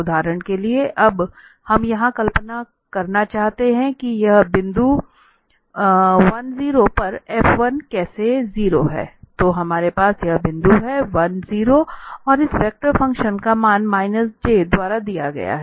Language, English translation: Hindi, So for instance, now we want to visualize here that how this f 1, 0 at this point 1, 0 so we have this point here, 1, 0 and the value of this vector function is given by the minus j